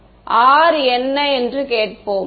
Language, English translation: Tamil, So, let us ask what is R right